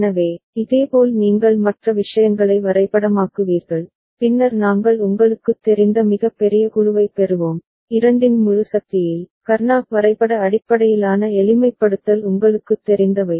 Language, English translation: Tamil, So, similarly you will be mapping the other things and then we’ll we getting the largest group of you know, in integer power of two, all those things you know the Karnaugh map based simplification